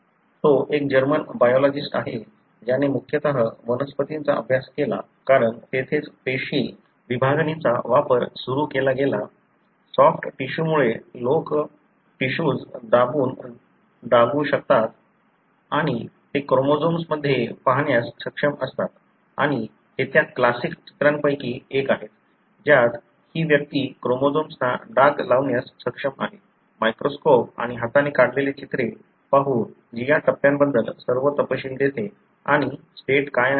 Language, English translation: Marathi, He is a German biologist, who studied mostly plants because that is where the cell division to begin with were studied using plants, because of the soft tissue, people are able to press the tissue and stain it and they are able to see in the chromosome and these are one of those classic pictures, wherein this person is able to stain the chromosomes, look at the microscope and hand drawn pictures which gives all the details about this stage and what is the state